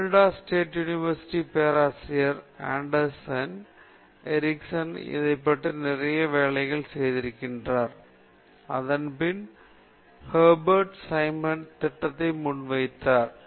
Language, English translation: Tamil, Okay Professor Anders Ericsson of Florida State University has also done lot of work on this, subsequent to this Hebert Simon’s proposal